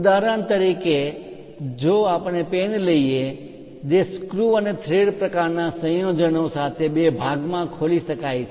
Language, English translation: Gujarati, For example, if you are taking a ah pen which can be opened into two part it always be having screw and thread kind of combinations